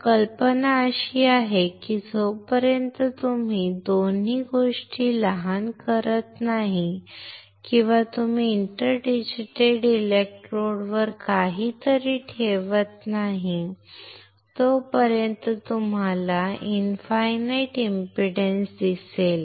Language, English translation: Marathi, So, the idea is until and unless you short both the things or you place something on the inter digitated electrodes you will see infinite impedance